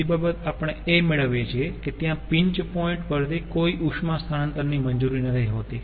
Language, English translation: Gujarati, second thing we get: no heat flow is allowed across the pinch point